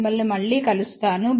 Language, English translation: Telugu, We will see you next time